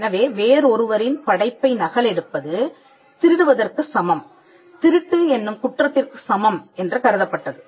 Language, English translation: Tamil, So, copying somebody else’s work was equated to stealing or equated to the crime or theft